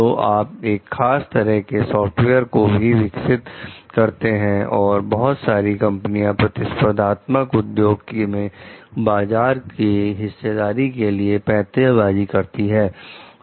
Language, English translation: Hindi, So, you develop a specific type of software so, for several companies that are maneuvering for market share in a competitive industry